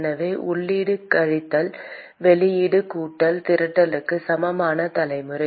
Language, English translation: Tamil, So input minus output plus generation equal to accumulation